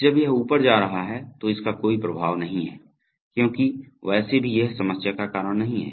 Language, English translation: Hindi, When it is going up it has no effect, because anyway that is not going to cause any problem